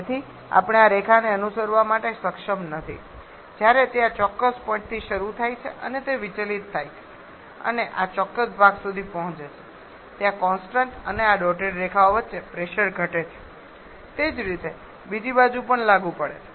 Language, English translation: Gujarati, So, we are not able to follow this line rather while it starts from this particular point it deviates and reach to this particular portion there is a pressure drop between the continuous and these dotted lines the same applies on the other side as well